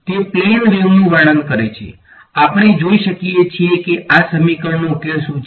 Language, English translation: Gujarati, It describes a plane wave; we can see what is the solution to this equation